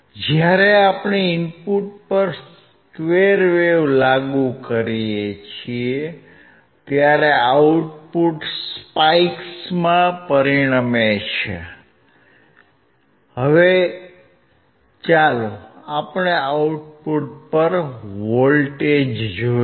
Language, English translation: Gujarati, When we apply the square wave at the input, the output results in a spike so, let us see the voltage at the output